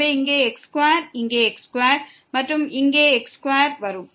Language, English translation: Tamil, So, here x square here square here square